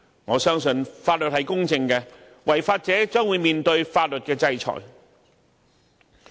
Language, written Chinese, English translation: Cantonese, 我相信法律是公正的，違法者將面對法律制裁。, I believe in the justice of law . Lawbreakers will receive legal sanctions